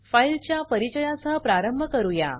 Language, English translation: Marathi, Let us start with the introduction to files